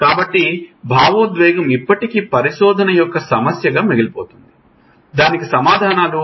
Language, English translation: Telugu, So, thought an emotional still remains the crux of the research which we do not have really on answers to it